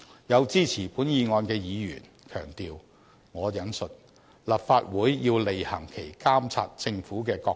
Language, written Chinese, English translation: Cantonese, 有支持本議案的議員強調，"立法會要履行其監察政府的角色"。, Those Members who support this motion emphasize that the Legislative Council has to exercise its duty of monitoring the Government